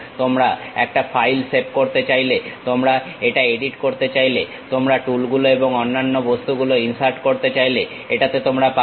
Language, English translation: Bengali, You want to save a file, you want to edit it, you want to insert tools, other objects, you will have it